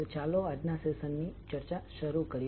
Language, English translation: Gujarati, So let us start the discussion of today’s session